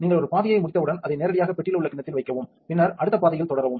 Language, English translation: Tamil, When you are done with one path just put it directly up into the bowl on the box and then continue with the next